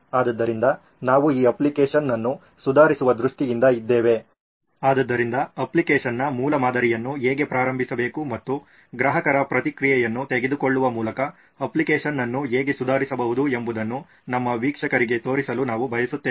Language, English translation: Kannada, So, we are in terms of improving this app so we want to show our viewers how to start a basic prototype of an app and how to improve the app by taking customer feedback The information you get, what do you mean